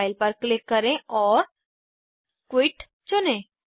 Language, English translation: Hindi, Click on File and choose Quit